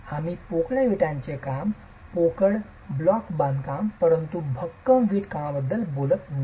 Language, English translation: Marathi, We are not talking of hollow brickwork, hollow block construction but solid brickwork